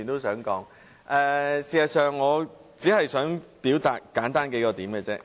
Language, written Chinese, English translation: Cantonese, 事實上，我只想表達幾個簡單論點。, In fact I only wish to raise several simple points